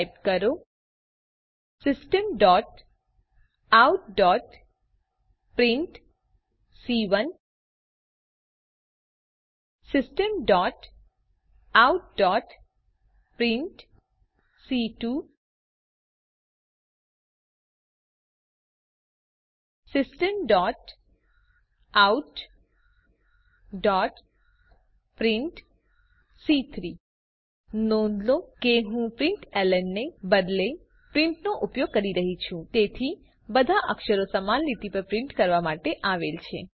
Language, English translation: Gujarati, type, System.out.print System.out.print System.out.print Please note that Im using print instead of println so that all the characters are printed on the same line